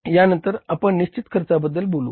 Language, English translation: Marathi, Then we talk about the fixed cost